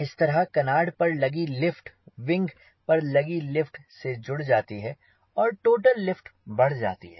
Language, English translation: Hindi, now you see, this lift on canard gets added with lift of wings, so your total lift increases